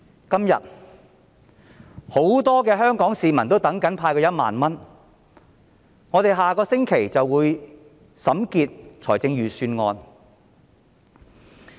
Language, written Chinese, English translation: Cantonese, 今天，很多香港市民正等待政府派發1萬元，立法會將於下星期審結財政預算案。, Today many Hong Kong citizens are waiting for the Governments universal cash handout of 10,000 and the Legislative Council will finish examining the Budget next week